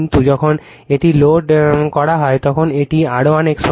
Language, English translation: Bengali, But when it is loaded at that time this is R 1 X 1